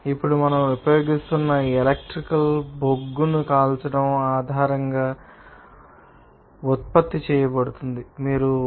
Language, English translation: Telugu, Now, also you will see that whatever electricity we are using, that is actually being produced based on burning of coal